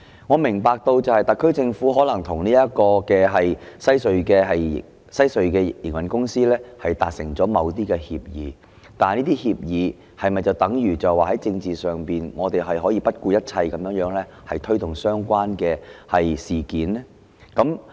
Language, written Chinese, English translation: Cantonese, 我明白特區政府可能與西區海底隧道的營運公司達成某些協議，但這是否等於可以在政治上不顧一切地推動相關的事宜呢？, I understand that the SAR Government may have reached certain agreements with the operator of the Western Harbour Crossing but does it justify shedding all political inhibitions to press ahead with this matter?